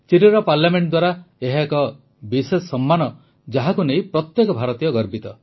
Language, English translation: Odia, This is a special honour by the Chilean Parliament, which every Indian takes pride in